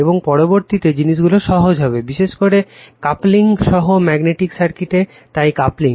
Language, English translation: Bengali, And next we will find things are easy, particularly in magnetic circuit with coupling right, so mutual coupling